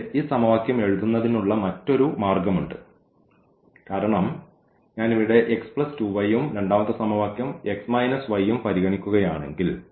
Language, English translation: Malayalam, But, there is another way of writing this equation because, if I consider here this x plus 2 y and the second equation is x minus y